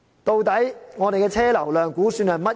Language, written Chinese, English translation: Cantonese, 究竟我們的車流量估算是多少？, What is the estimated traffic throughput?